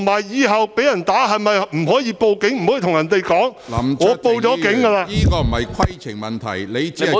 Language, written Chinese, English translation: Cantonese, 以後被人打，是否不可以報警，不可以告訴對方我已報警......, In the future if I am assaulted can I not file a report with the Police? . Can I not tell the other party that I have filed a report with the Police